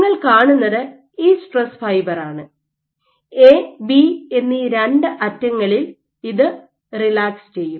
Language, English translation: Malayalam, So, what you will see is this stress fiber it will relax so both these ends A and B